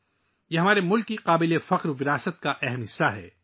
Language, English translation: Urdu, It is an important part of the glorious heritage of our country